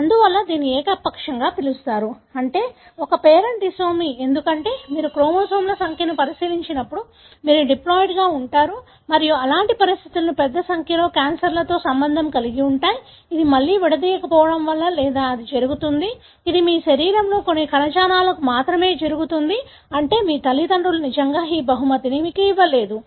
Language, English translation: Telugu, Therefore, it is called as uniparental, meaning from one parent, disomy, because otherwise you are diploid when you look into the number of chromosomes and such conditions are associated with a large number of cancers, which happens either because of non disjunction again or it could be somatic, meaning it happens only in certain tissues in your body not really gifted by your parents